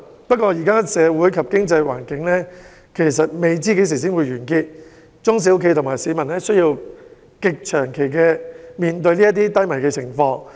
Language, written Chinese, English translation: Cantonese, 不過，現時社會及經濟環境不知何時才會好轉，中小企及市民需要極長期面對如此低迷的經濟情況。, That said it is unknown when the social and economic conditions will improve; SMEs and people may have to face such an economic downturn for a very long time